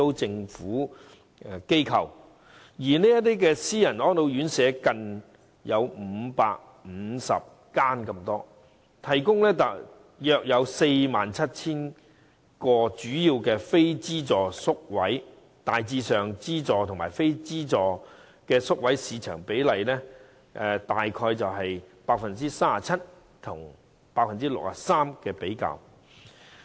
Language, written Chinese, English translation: Cantonese, 至於私營院舍則有近550間，提供約 47,000 個非資助宿位，資助和非資助宿位的市場比例大致上為 37% 與 63%。, As for self - financing RCHEs there are close to 550 homes providing 47 000 non - subsidized places . The proportions of subsidized places and non - subsidized places are around 37 % to 63 %